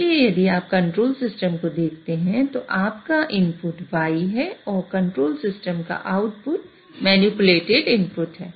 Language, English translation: Hindi, So, if you look at the control system, your input is a Y and output of a control system is the manipulated input